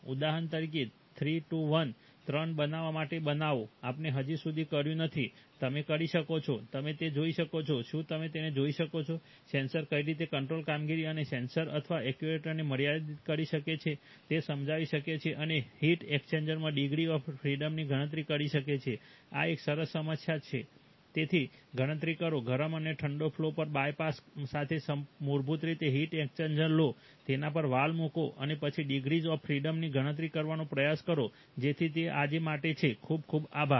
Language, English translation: Gujarati, For example, three to one, form three to form one, we have not yet done, can you, can you look at that, explain in what ways a sensor can limit control performance and sensor or actuator, and compute the degrees of freedom in a heat exchanger, this is a nice problem, so, compute the, take a standard heat exchanger with bypasses on the hot and the cold flow, put valves on them and then try to compute the degrees of freedom, so that is all for today, thank you very much